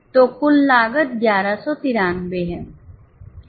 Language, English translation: Hindi, So, total cost is 1